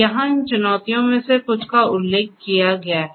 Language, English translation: Hindi, Here are some of these challenges that are mentioned